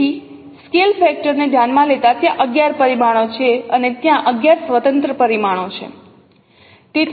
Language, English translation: Gujarati, So considering the scale factor, so there are 11 parameters and there are 11 independent parameters